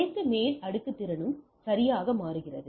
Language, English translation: Tamil, All upper layer capability switches right